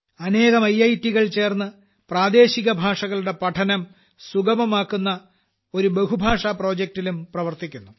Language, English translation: Malayalam, Several IITs are also working together on a multilingual project that makes learning local languages easier